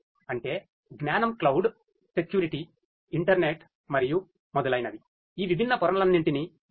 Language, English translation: Telugu, That means, the knowledge you know cloud security, internet and so on so all of these different layers are used